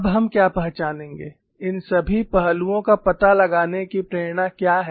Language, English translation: Hindi, What we will now recognize is, what is the motivation for finding out all these aspects